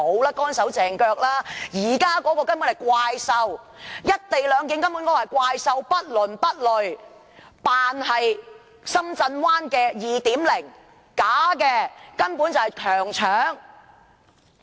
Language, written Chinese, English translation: Cantonese, 現時這項《條例草案》根本就是"怪獸"，不倫不類，扮作深圳灣 "2.0"， 但卻是虛假的，根本就是強搶。, This Bill is actually a monster . It is neither fish nor fowl . It pretends to be Shenzhen Bay Port 2.0 but it is a sham a downright robbery